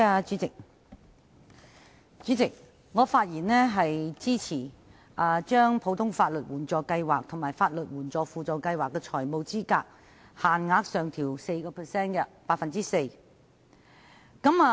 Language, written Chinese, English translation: Cantonese, 主席，我發言支持政府的建議，將普通法律援助計劃和法律援助輔助計劃的財務資格限額，分別上調 4%。, President I speak in support of the Governments proposed increases of the financial eligibility limits FEL for the Ordinary Legal Aid Scheme and the Supplementary Legal Aid Scheme by 4 % respectively